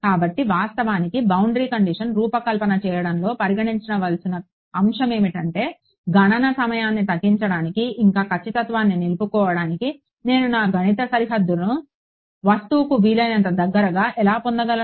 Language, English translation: Telugu, So in fact, one of the considerations in designing boundary conditions is how can I get my mathematical boundary as close as possible to the object to minimize computation time yet retaining accuracy